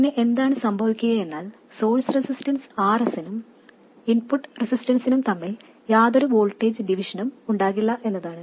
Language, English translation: Malayalam, Then what happens is that there is no voltage division between the source resistance RS and the input resistance